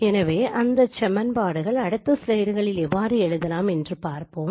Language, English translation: Tamil, So we will see how those equations can be written in the next slides